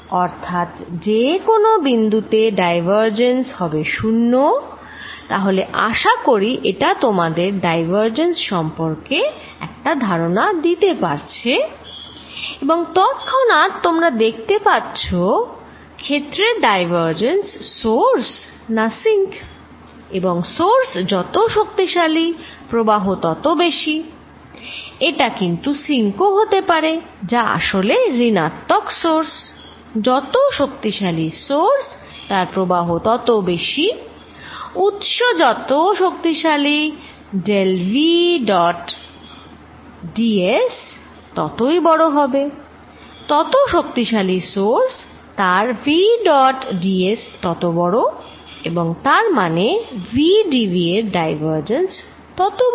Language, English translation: Bengali, So, divergent of any point is 0, so I hope this gives you a picture of what divergence is and divergence immediately you can see is related to source or sink of the field and stronger the source which also includes a sink, which is negative source, stronger to the source more the flow, stronger the source del v dot d s will be larger, stronger the source implies v dot d s larger and this implies divergence of v d v is larger